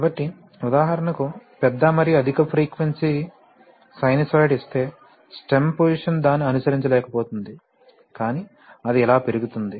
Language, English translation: Telugu, So for example, if you give a large and then high frequency sinusoid, then the stem position will not be able to follow it, but rather it will go up like this